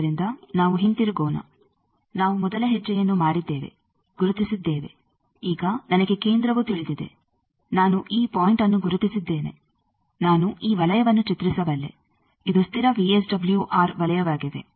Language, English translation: Kannada, So, let us come back that we have done the first step we have located, now I know the centre I have located this point I can draw this circle this is the constant VSWR circle